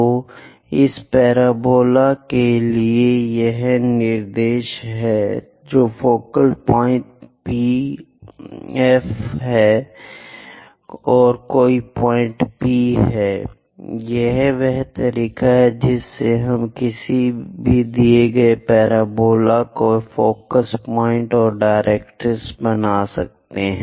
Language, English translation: Hindi, So, for this parabola this is the directrix, focal point is F and any point P; this is the way we construct focus point and directrix for a given parabola